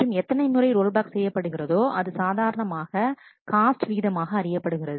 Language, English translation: Tamil, And so the number of roll backs is also usually kept as a cost factor